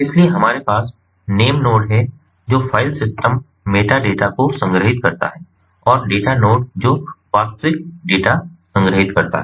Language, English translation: Hindi, so we have the name node, which stores the filesystem, meta data, and the data node which stores the actual data